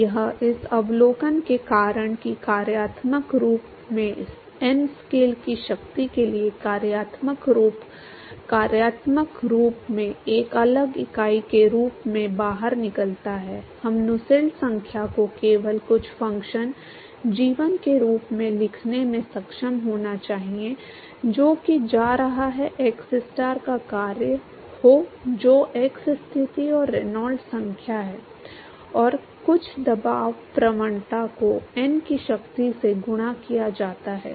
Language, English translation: Hindi, So, that is a because of the observation that the functional form the Prandtl number to the power of n scales out as a separate entity in the functional form, we should be able to write Nusselt number in simply as some function g1 which is going to be function of xstar which is the x position and the Reynolds number and some pressure gradient multiplied by Prandtl number to the power of n